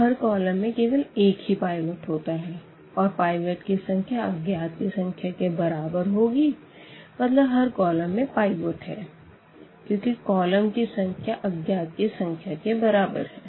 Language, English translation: Hindi, So, the each column can have only one pivot and this number of pivot equal number unknowns meaning that each column has a pivot because a number of columns equal to the number of unknowns